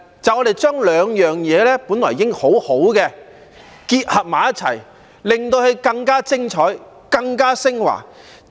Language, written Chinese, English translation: Cantonese, 它象徵兩種本已很好的東西互相結合，變得更加精彩、更加昇華。, It symbolizes the combination of two great things to bring synergy and advancement